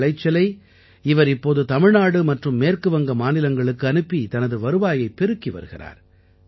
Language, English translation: Tamil, Now by sending his produce to Tamil Nadu and West Bengal he is raising his income also